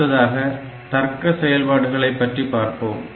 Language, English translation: Tamil, Now, there are logical operations